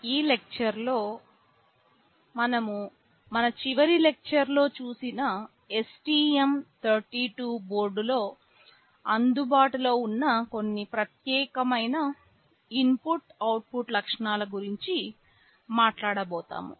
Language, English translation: Telugu, In this lecture, we shall be talking about some of the unique input output features that are available in the STM32 board which you saw in our last lecture